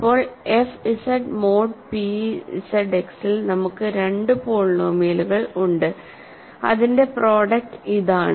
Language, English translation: Malayalam, Now, we have two polynomials in f Z mod p Z X whose product is this